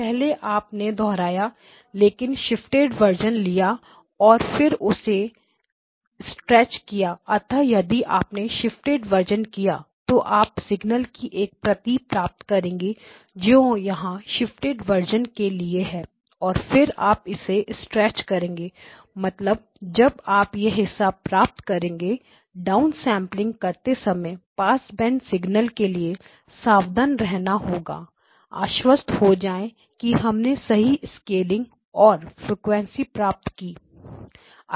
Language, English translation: Hindi, We first replicated but shifted versions of it and then stretched it so if you do the shifted version you will get a copy of the signal here, so you will get a copy of the signal which is here for the shifted version and then you stretch it that means that that is when you get this portion so be careful when you do the down sampling of a band pass signal you have to be make sure that you get the correct scaling of the frequencies